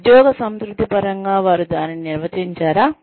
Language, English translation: Telugu, Do they define it, in terms of job satisfaction